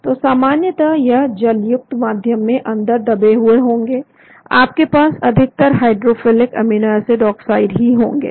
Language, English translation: Hindi, So generally and they will be buried inside in aqueous medium, you generally have only the hydrophilic amino acids oxide